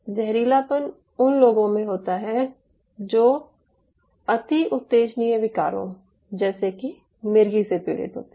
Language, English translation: Hindi, of course it does happen in people who suffers from hyper excitable disorders like epilepsy